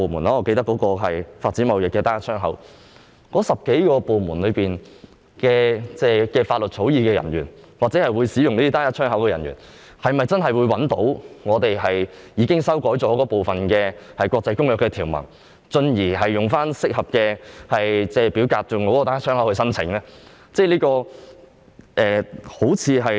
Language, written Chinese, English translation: Cantonese, 我記得在發展貿易單一窗口方面正是如此，而那眾多部門的法律草擬人員或使用單一窗口的人員，是否真的能找到經修改的國際公約條文，進而使用適當表格提出單一窗口申請呢？, From what I recall this is exactly the case for the development of a trade single window and will law drafting officers and officers handling the relevant single window in those government departments manage to get hold of the revised texts of the international agreements concerned and thereby using appropriate forms for filing single window applications?